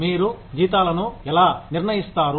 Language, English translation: Telugu, How do you decide salaries